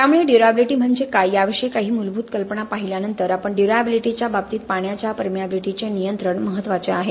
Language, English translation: Marathi, Okay, so having looked at some basic idea about what durability is and the fact that the control of water permeability is critical as far as durability is concerned